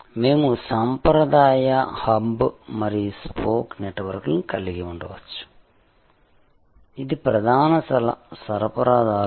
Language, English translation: Telugu, We can have the traditional hub and spoke network, this is the core supplier